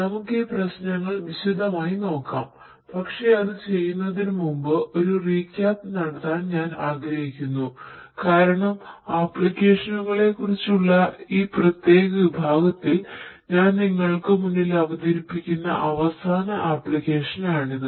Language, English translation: Malayalam, So, let us look at these issues in detail, but before we do that I would like to have a recap because this is going to be the last application that I am going to expose you to in this particular section on applications